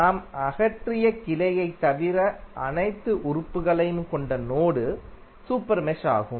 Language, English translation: Tamil, Super mesh would be the mesh having all the elements except the branch which we have removed